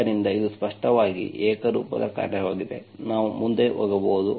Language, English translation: Kannada, So it is clearly homogeneous function, we can go ahead